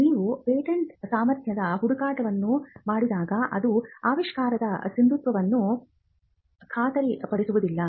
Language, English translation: Kannada, When you do a patentability search, when you do a search, it does not guarantee or it does not warrant the validity of an invention